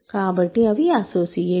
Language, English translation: Telugu, So, these are also associates